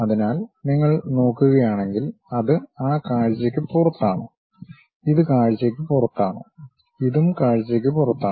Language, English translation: Malayalam, So, if you are looking, it is outside of that view; this one also outside of the view, this is also outside of the view